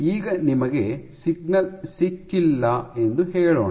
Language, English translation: Kannada, Now let us say you have not gotten your signal